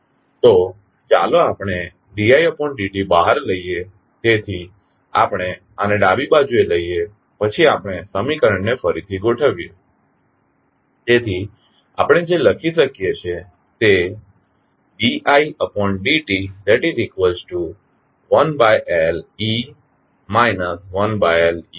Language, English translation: Gujarati, So, let us take di by dt out, so, we take this on the left then we rearrange the equation, so, what we can write we can write di by dt is nothing but 1 upon Le minus 1 by Lec minus R by Li